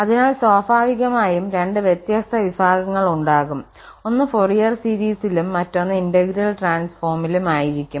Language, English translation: Malayalam, So, there will be naturally 2 different sections so 1 will be on Fourier series and other 1 on integral transform